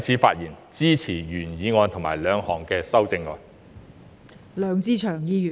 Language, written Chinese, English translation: Cantonese, 我也會支持其他修正案，我謹此陳辭。, I also give my support to other amendments . I so submit